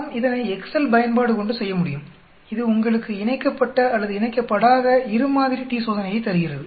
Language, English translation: Tamil, We can do it using the Excel function, which gives you both paired or unpaired two sample t Test